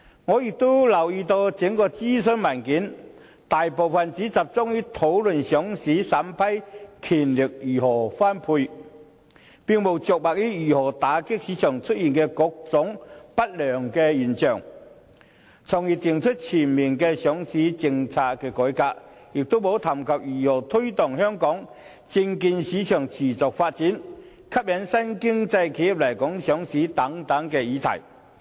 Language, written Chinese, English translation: Cantonese, 我亦留意到整份諮詢文件，大部分只集中於討論上市審批權如何分配，並無着墨於如何打擊市場出現的各種不良現象，從而訂出全面的上市政策改革，也沒有談及如何推動香港證券市場持續發展，吸引新經濟企業來港上市等議題。, I also note that the bulk of the entire consultation paper focuses solely on how the power to vet and approve listing applications is to be shared instead of how to combat the various market malpractices by formulating a comprehensive reform of the listing policy . Nor does it touch on issues such as promoting the sustainable development of the local stock market with a view to attracting enterprises of the new economy to go public in Hong Kong